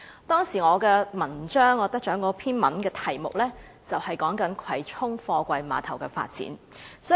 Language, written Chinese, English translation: Cantonese, 當時我那篇得獎文章的題目，就是"葵涌貨櫃碼頭的發展"。, The title of my essay was The Development of Kwai Chung Container Terminals